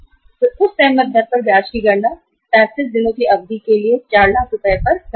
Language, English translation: Hindi, They would calculate the interest on that agreed rate on that 4 lakh rupees for a period of 35 days